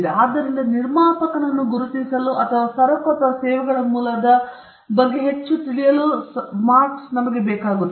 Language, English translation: Kannada, So, marks helps us to identify the producer or to know more about the origin of goods and services